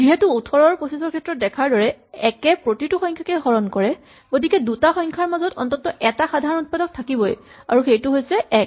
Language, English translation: Assamese, Since 1 divides every number, as we saw in the case of 18 and 25, there will always be at least one common divisor among the two numbers